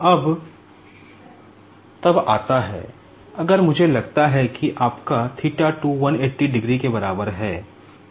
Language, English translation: Hindi, Now, then comes, if I consider that your theta 2 is equals to 180 degree